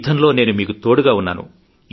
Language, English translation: Telugu, But in this battle, I'm with you